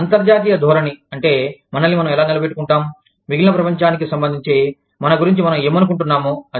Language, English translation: Telugu, International orientation refers to, how we situate ourselves, what we think of ourselves, in relation to the, rest of the world